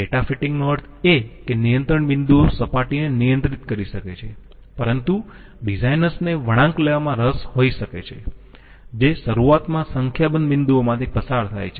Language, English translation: Gujarati, Data fitting means that control points may be controlling the surface but designers might be interested to have a curve, which initially passes through a number of points